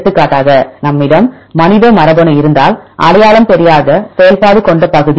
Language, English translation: Tamil, For example, if we have human genome, a region with unidentified function